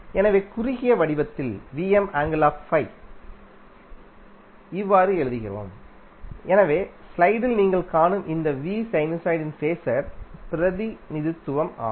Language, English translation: Tamil, So, in this way the capital V bold which you see in the slide is the phaser representation of sinusoid